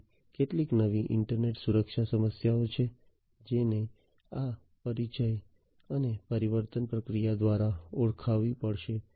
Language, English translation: Gujarati, So, there are some new internet security issues that will have to be identified through this introduction and transformation process